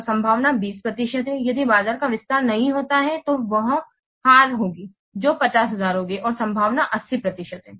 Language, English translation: Hindi, If market doesn't expand, there will be a loss that will be 50,000 and probability is 80 percent